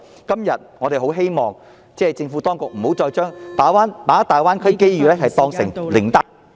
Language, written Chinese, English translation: Cantonese, 今天，我們希望政府當局不要再把大灣區機遇當成靈丹......, Today we hope that the Administration will not again treat opportunities of the Greater Bay Area as a panacea